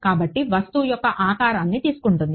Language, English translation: Telugu, So, takes the shape of the object